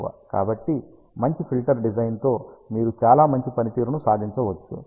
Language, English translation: Telugu, So, with a good filter design you can achieve a very good performance